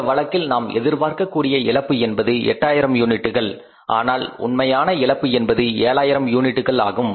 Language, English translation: Tamil, In this case if you talk about we were expecting a loss of the 8,000 units but the actual loss is of the 10,000 units